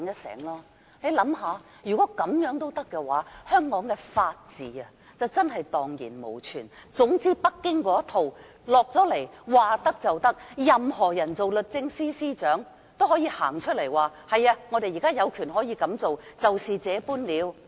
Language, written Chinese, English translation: Cantonese, 大家試想想，如果這樣也可以，香港的法治便真的蕩然無存，總之北京的一套下達香港，不管律政司司長是誰，他也可以公開表示："是的，我們有權這樣做，就是這樣了"。, If it can be done this way the rule of law will become non - existent in Hong Kong . Anyway so long as Beijing issues an order to Hong Kong no matter who the Secretary for Justice is he can say publicly Yes we have the power to do so period